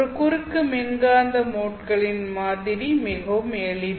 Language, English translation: Tamil, Here the pattern of a transverse electromagnetic mode is very simple